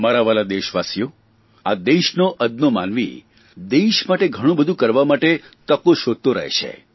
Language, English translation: Gujarati, My dear countrymen, the common man of this country is always looking for a chance to do something for the country